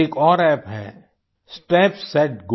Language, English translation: Hindi, There is another app called, Step Set Go